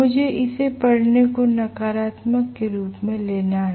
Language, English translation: Hindi, I have to take this reading as negative